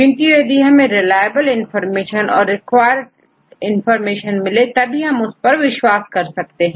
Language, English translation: Hindi, But if you get the required information and reliable information, then you can trust